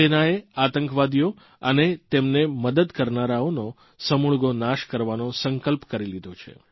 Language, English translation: Gujarati, The Army has resolved to wipe out terrorists and their harbourers